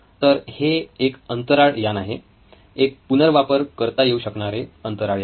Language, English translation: Marathi, This is a space shuttle, a reusable space vehicle